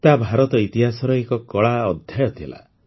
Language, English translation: Odia, It was a dark period in the history of India